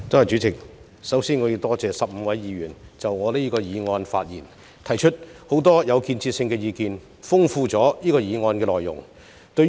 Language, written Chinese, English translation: Cantonese, 主席，首先，我要多謝15位議員就我提出的議案發言，並提出了很多具建設性的意見，豐富了這項議案的內容。, President first of all I would like to thank the 15 Members for speaking on my motion and giving a lot of constructive views to enrich the content of this motion